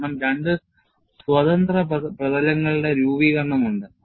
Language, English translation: Malayalam, Because, you have formation of, 2 free surfaces